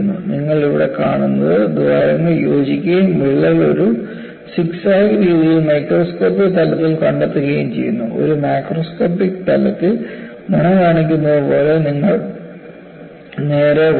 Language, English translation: Malayalam, And what do you find here is, the holes are joined and you find the crack proceeds, at a microscopic level in a zigzag fashion; and a macroscopic level, it is proceeding straight as what is shown by the arrow